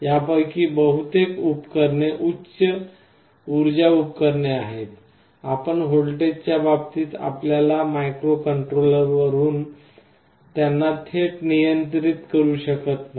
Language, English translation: Marathi, Most of these devices are high power devices, you cannot directly control them from your microcontroller in terms of voltages